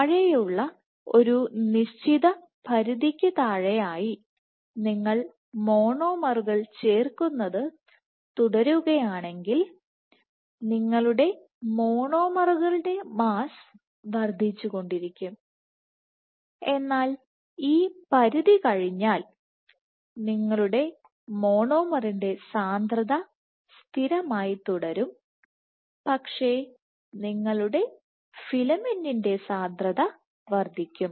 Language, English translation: Malayalam, So, below a certain threshold below you will have if you keep on adding monomers your mass of the monomers will keep increasing, but once this threshold is cost your monomer concentration will remain constant, but your filament concentration will increase